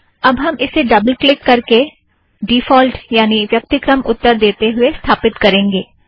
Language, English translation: Hindi, Let us now install it by double clicking and giving default answers